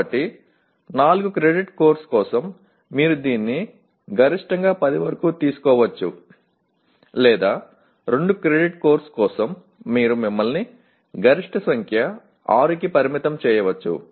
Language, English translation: Telugu, So correspondingly for a 4 credit course you may take it up to almost maximum 10 or for a 2 credit course you can limit yourself to maximum number of 6